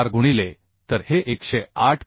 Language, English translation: Marathi, 4 this is becoming 108